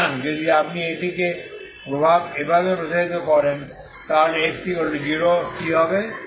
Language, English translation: Bengali, So if you extend it like this, okay so what happens at 0